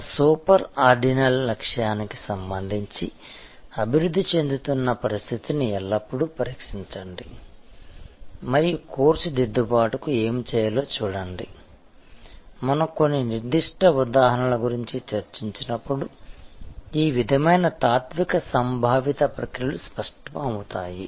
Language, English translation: Telugu, Always test the evolving situation with respect to that super ordinal goal and see what needs to be done to course correction, when we discuss about certain specify examples these sort of philosophical a conceptual processes will become clear